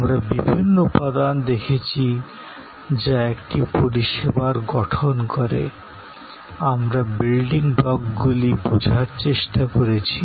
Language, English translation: Bengali, We have looked at different elements that constitute a service, we understood the building blocks